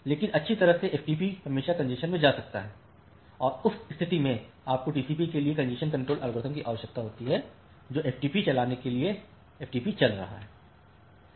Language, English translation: Hindi, But well FTP can always get into congestion and in that case you require congestion control algorithm for the TCP which is running the FTP to make FTP come out of the congestion